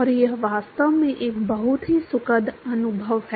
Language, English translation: Hindi, And it is really a very pleasant experience alright